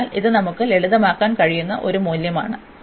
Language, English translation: Malayalam, So, this is a value we can simplify this